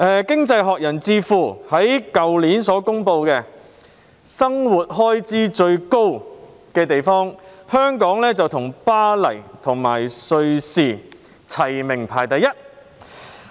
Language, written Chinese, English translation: Cantonese, 經濟學人智庫去年就全球生活成本最高的城市發表報告，當中香港與巴黎和瑞士並列首位。, Last year the Economist Intelligence Unit published a report on the worldwide cost of living in which Hong Kong shared the top spot with Paris and Switzerland